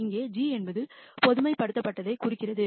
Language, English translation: Tamil, Here g stands for generalized